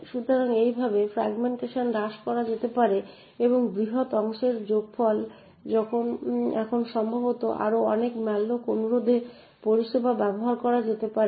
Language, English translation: Bengali, So in this way the fragmentation can be reduced the sum of this large free chunk can now be used to service possibly many more malloc requests